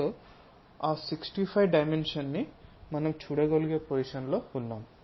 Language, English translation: Telugu, So, that 64 dimension we will be in a position to since